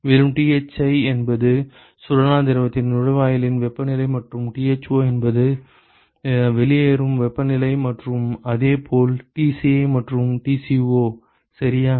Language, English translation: Tamil, And if Thi is the inlet temperature of hot fluid and Tho is the outlet temperature and similarly Tci and Tco ok